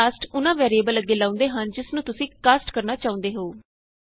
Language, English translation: Punjabi, This cast is put in front of the variable you want to cast